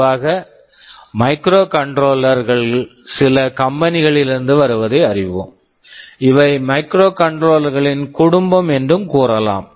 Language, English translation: Tamil, Typically you will find that microcontrollers come from certain companies; you can say these are family of microcontrollers